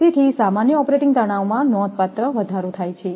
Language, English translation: Gujarati, Therefore, the normal operating stresses are raised considerably